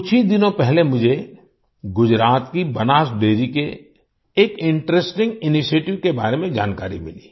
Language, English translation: Hindi, Just a few days ago, I came to know about an interesting initiative of Banas Dairy of Gujarat